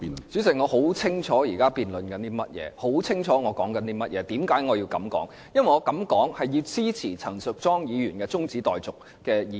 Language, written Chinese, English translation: Cantonese, 主席，我很清楚現正辯論的是甚麼，也很清楚自己在說些甚麼及為何要這樣說，我的目的是要支持陳淑莊議員提出的中止待續議案。, President I am well aware of what is being discussed and I know exactly what I have said and why I said so . I am speaking in support the adjournment motion moved by Ms Tanya CHAN